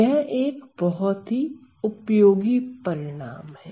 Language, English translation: Hindi, So, that is a very useful result to have